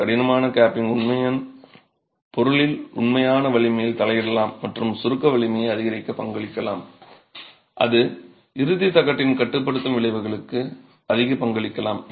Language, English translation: Tamil, A heart capping can actually interfere with the actual strength of the material and contribute to increasing the compressive strength or contribute more to the confining effect of the end plateau